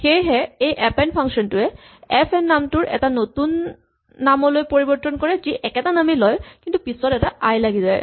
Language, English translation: Assamese, So, this function append for instance modifies the value of the name fn to a new name which takes the old name and sticks an i at the end of it